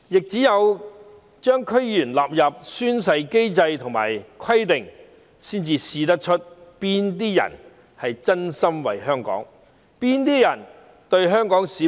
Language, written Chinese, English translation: Cantonese, 只有將區議員納入宣誓機制和規定，才能測試到哪些人是真心為香港，是真誠真意對待香港市民。, Only by making DC members subject to the oath - taking mechanism and requirements can we tell which of them truly care about Hong Kong and treat Hong Kong people earnestly and sincerely